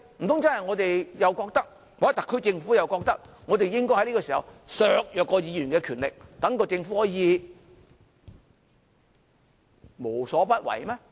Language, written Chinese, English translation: Cantonese, 難道我們或特區政府覺得應該在此刻削弱議員的權力，讓政府可以無所不為嗎？, Can we or the Special Administrative Region Government possibly hold that Members power should be undermined right now so that the Government can just do anything?